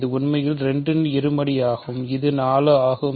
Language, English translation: Tamil, This is actually 2 squared which is 4